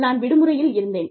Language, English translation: Tamil, I was out on vacation